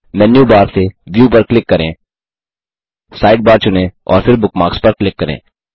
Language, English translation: Hindi, From Menu bar, click View, select Sidebar, and then click on Bookmarks